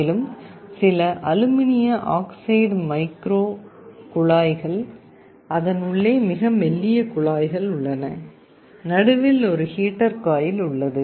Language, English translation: Tamil, And there are some aluminum oxide micro tubes, very thin tubes inside it, and there is a heater coil in the middle